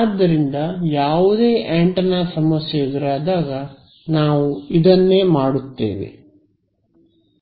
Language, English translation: Kannada, So, in any antenna problem this is going to be what we will do